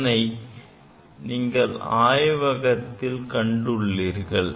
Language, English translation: Tamil, So, that is the experiment we have demonstrated in the laboratory